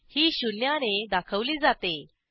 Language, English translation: Marathi, It is denoted by zero